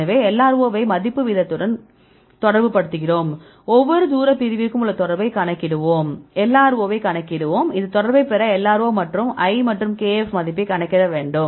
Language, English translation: Tamil, So, then we relate that LRO with the folding rate and look into calculate the correlation for each distance separation we will calculate the LRO and you have to get this correlation there is LRO versus l and kf